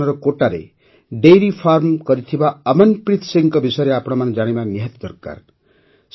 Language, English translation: Odia, You must also know about Amanpreet Singh, who is running a dairy farm in Kota, Rajasthan